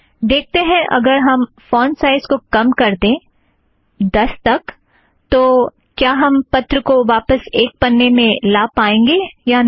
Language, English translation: Hindi, Let us see if the font size is reduced to 10, we can bring the letter back to one page